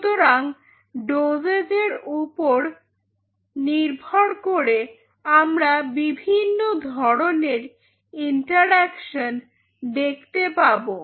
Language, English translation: Bengali, So, with different dosage you can see different kind of interactions which are happening